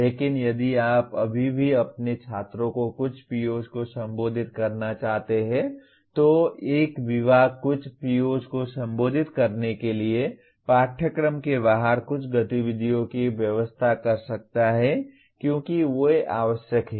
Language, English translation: Hindi, but if you still want your students to address some of the POs then a department can arrange some activities outside the curriculum to address some of the POs because they are required